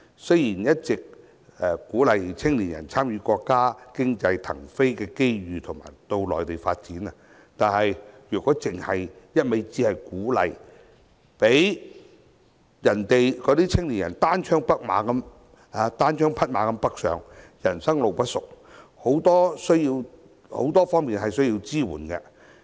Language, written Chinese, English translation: Cantonese, 雖然政府一直鼓勵青年人參與國家經濟騰飛的機遇到內地發展，但也不能只是一味鼓勵，讓青年人單槍匹馬北上，人生路不熟，他們有很多方面需要支援。, While the Government has kept on encouraging young people in Hong Kong to take advantage of the economic boom in our country to develop their career in the Mainland it should not only pay lip service and let young people go north all by themselves as they need different types of support in an unfamiliar place